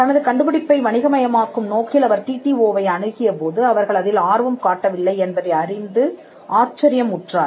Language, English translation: Tamil, When he approach the TTO with a view to commercializing his discovery; he was surprised to learn that they were not interested